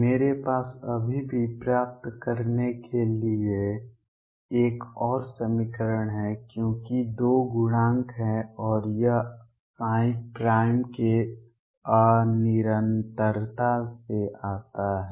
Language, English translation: Hindi, I still have one more equation to derive because there are two coefficients and that comes from the discontinuity of psi prime